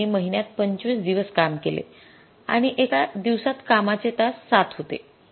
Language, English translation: Marathi, Average working days in the month are 25, a worker works for seven hours in a day